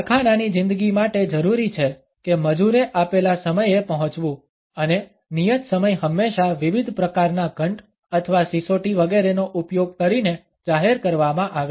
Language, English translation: Gujarati, The factory life required that the labor has to report at a given time and the appointed hour was always announced using different types of bells or whistles etcetera